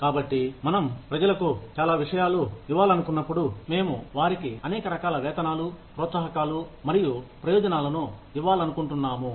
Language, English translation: Telugu, So, when we want to give people, so many things, we want to give them, a wide variety of pay, incentives, and benefits; and that becomes really complicated